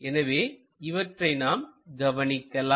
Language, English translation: Tamil, So, let us observe those portions